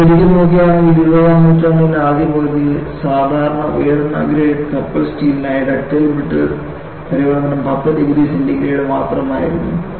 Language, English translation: Malayalam, And if you really look at, during the first half of the 20th century for typically high grade ship steel, the ductile to brittle failure transition was only 10 degree centigrade